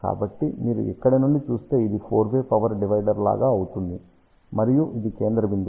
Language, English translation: Telugu, So, if you look from here this becomes like a four way power divider and this is the central point